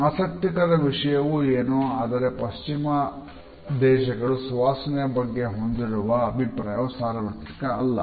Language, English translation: Kannada, It is interesting to note that the Western notions of which fragrances are aesthetically pleasant is not universal